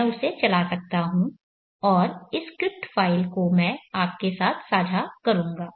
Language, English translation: Hindi, Yeah I can run that and share this script file with you